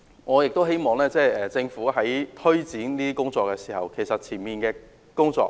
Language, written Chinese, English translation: Cantonese, 我亦希望政府在推展這些工作時，先做好前期的工作。, I also hope that the Government will do sufficient preparatory work before launching such programmes